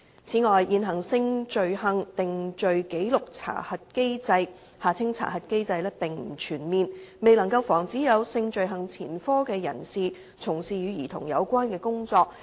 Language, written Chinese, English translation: Cantonese, 此外，現行性罪行定罪紀錄查核機制並不全面，未能防止有性罪行前科的人士從事與兒童有關的工作。, Furthermore the existing Sexual Conviction Record Check SCRC Scheme is not comprehensive and thus unable to prevent persons with previous records of sexual conviction from engaging in child - related work